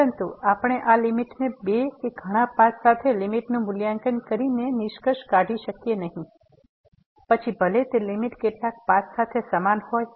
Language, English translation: Gujarati, But we cannot conclude by evaluating the limit along two or many paths that this is the limit, even though that limit may be same along several paths